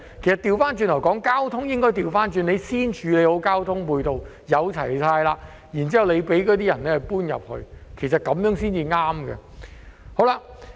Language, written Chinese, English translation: Cantonese, 相反，政府應該先處理好交通配套，待設施齊全後，才讓市民遷到那裏，其實這樣做才對。, Instead the Government should first properly deal with the ancillary transport facilities and let people move into the area only after all these facilities are ready . In fact this is the right approach to take